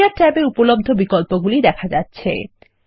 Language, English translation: Bengali, The Area tab options are visible